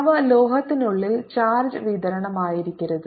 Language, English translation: Malayalam, they cannot be any charge distribution inside the metal